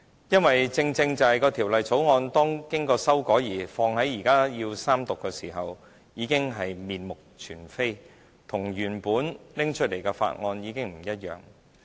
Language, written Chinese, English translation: Cantonese, 因為正正是《條例草案》經過修改，而到了現時三讀的階段，已經面目全非，與原本提出的法案不同。, At the Third Reading stage the Bill has actually been substantially modified to the extent that it is no longer the same as the one proposed in the beginning